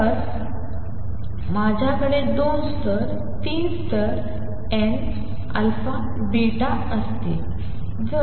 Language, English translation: Marathi, Let us say if I have two levels, three levels, n alpha beta